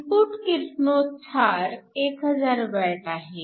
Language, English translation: Marathi, So, the input radiation is 1000 watts